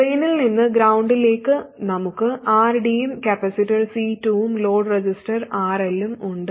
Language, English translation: Malayalam, And from the drain to ground, we have RD, the capacitor C2 and the load register RL